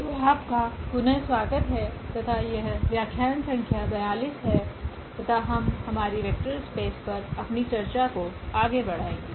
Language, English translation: Hindi, So, welcome back and this is lecture number 42 and we will continue our discussion on Vector Spaces again